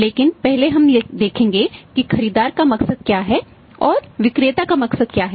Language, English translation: Hindi, But first we will see that what is a motive of the buyer and what is the motive of the seller